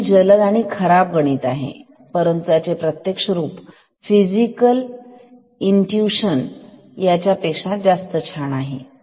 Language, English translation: Marathi, So, this is a quick and dirty maths, but physical intuition is more nicer than this